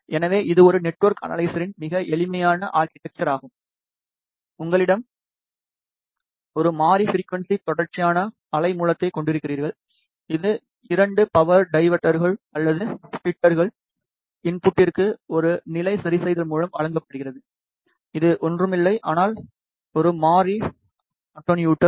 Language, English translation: Tamil, So, this is very simplified architecture of a network analyzer, you have a variable frequency continuous wave source, which is given to the input of 2 power dividers or splitters through a level adjustment which is nothing, but a variable attenuator